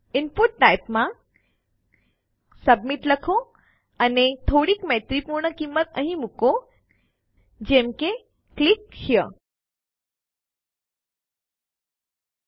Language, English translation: Gujarati, In the input type submit put some user friendly value like click here